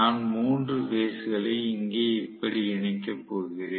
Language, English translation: Tamil, So, I am going to connect the 3 phases here like this